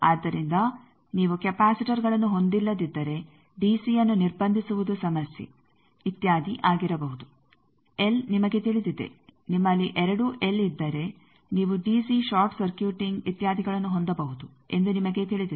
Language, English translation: Kannada, So, which one if you have do not have capacitors DC blocking may be problem etcetera l you know that if you have both ls you can have DC short circuiting etcetera